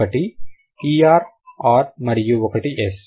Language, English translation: Telugu, One is ER, the other one is S